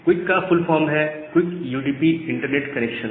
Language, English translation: Hindi, So, the full form of QUIC is QUICK UDP Internet Connection